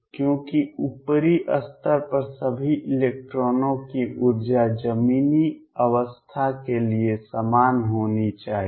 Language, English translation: Hindi, Because the energy of all the electrons at the upper most level must be the same for the ground state